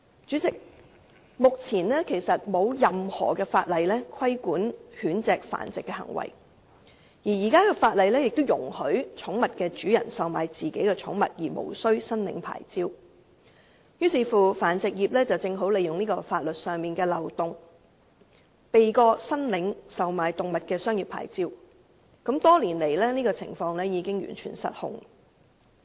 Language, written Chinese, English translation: Cantonese, 主席，由於目前並沒有任何法例規管狗隻繁殖行為，而現時的法例亦容許寵物主人售賣自己的寵物而無須申領牌照，於是繁殖業正好利用這個法律上的漏洞，避過申領售賣動物的商業牌照，多年來這種情況已經完全失控。, President given that dog breeding activities are currently not governed by any law and pet owners are permitted by the existing laws to sell their own pets without having to obtain any licence the breeding trade has therefore taken advantage of this legal loophole to obviate the need for a commercial licence . After so many years the situation has completely run out of control